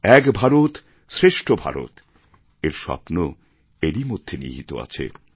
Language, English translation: Bengali, The dream of "Ek Bharat Shreshtha Bharat" is inherent in this